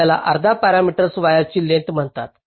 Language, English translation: Marathi, this is called half parameter, wire length because its a rectangle